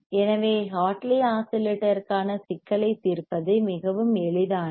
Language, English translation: Tamil, So, it is very easy to very easy to solve the problem for the Hartley oscillator; so,